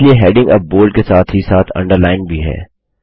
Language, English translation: Hindi, Hence the heading is now bold as well as underlined